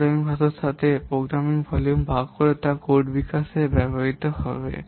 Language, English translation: Bengali, By dividing program volume with the level of the programming language which will be used to develop the code